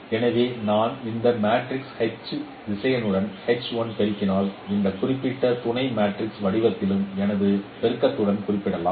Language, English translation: Tamil, So if I multiply this matrix H with the vector xI, I can also represent in this particular sub matrix form multiplication